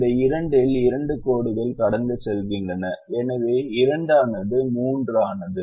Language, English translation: Tamil, this two has two lines passing, so two became three and this two does not have any line passing